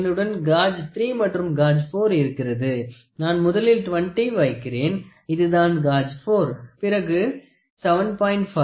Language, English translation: Tamil, So, I have gauge 3 and gauge 4 that means, to say I would first put 20 this is gauge 4, then I put 7